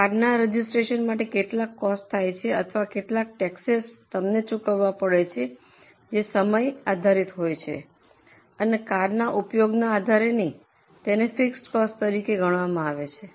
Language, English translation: Gujarati, There will also be some costs involved in the registration of car or some taxes which you may have to pay which are time based, not based on how much is your use of car